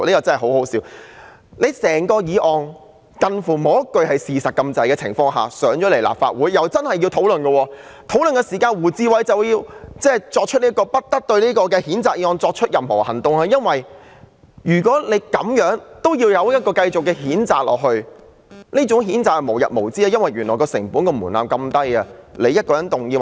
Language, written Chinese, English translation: Cantonese, 這項幾乎沒有一句是事實的議案提交立法會後，大家真的要作討論，而在討論期間，胡志偉議員動議不得就這項譴責議案再採取任何行動，原因是如果這樣也可以繼續譴責，那麼譴責便會變成無日無之，因為成本和門檻非常低。, After this motion which hardly contained a single fact was submitted to the Legislative Council we inevitably have to hold a discussion . During the discussion Mr WU Chi - wai moved that no further action should be taken on the censure motion . If even such kind of censure motion can proceed censure will become a daily routine since the cost and threshold are so low